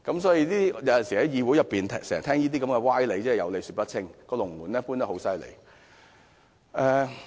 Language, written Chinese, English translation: Cantonese, 所以，在議會經常聽到這些歪理，真的是有理說不清，"龍門"經常移動。, So in this legislature we often hear such sophistry . They simply do not talk sense and they change the rules all too often